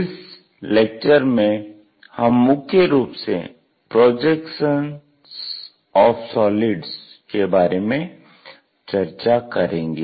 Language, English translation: Hindi, Mainly, we are looking at Projection of Solids